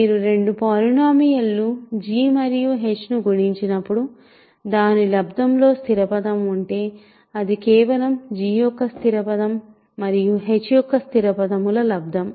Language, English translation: Telugu, When you multiply two polynomials g and h in the product the constant term is just the constant term of g times constant term of h